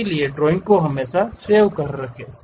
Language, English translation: Hindi, So, drawing always be saved